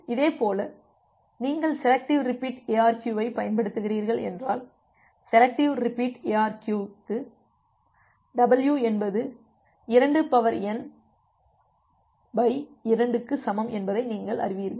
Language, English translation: Tamil, Similarly if you are using selective repeat ARQ, for a selective repeat ARQ, you know that w is equal to 2 to the power n divided by 2